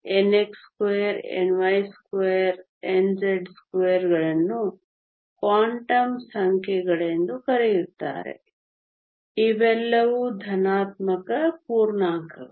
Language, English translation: Kannada, n x, n y and n z are called Quantum numbers these are all positive integers